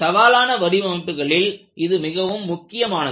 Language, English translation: Tamil, It is very important in any challenging designs